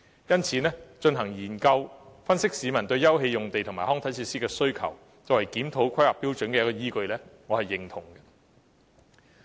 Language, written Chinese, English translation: Cantonese, 因此，進行研究以分析市民對休憩用地及康體設施的需求，作為檢討《規劃標準》的依據，我是認同的。, For these reasons I agree to conduct studies to analyse peoples demand for open space and recreational facilities as the basis of reviewing HKPSG